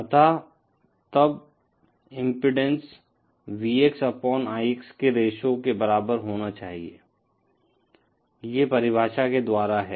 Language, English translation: Hindi, So the impedance then should be equal to the ratio of Vx upon Ix, this is from the definition